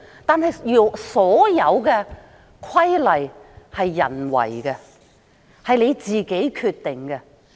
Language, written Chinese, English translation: Cantonese, 但是，所有規例都是人訂定的，是我們自己決定的。, Nevertheless all rules are made by people and they are decided by us